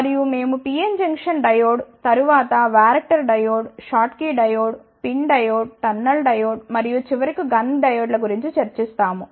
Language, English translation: Telugu, After, that we will discuss about PN Junction Diode, then Varactor diode, Schottky diode, PIN diode, Tunnel diode, and finally, GUNN Diode